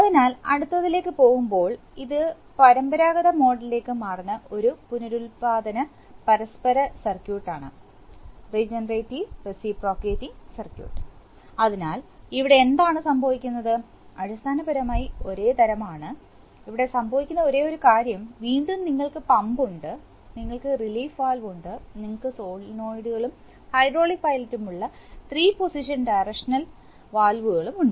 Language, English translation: Malayalam, So, moving on to the next one, this is a regenerative reciprocating circuit with changeover to conventional mode, so what is happening here, basically the same type only thing that is happening here is that, here you see initially we have again pump, I am sorry, what is this happening here, again you have pump, you have relief valve, you have three positioned Direction valves with solenoids and hydraulic pilot